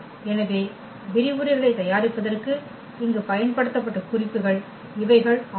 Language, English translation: Tamil, So, these are the reference here used for preparing the lectures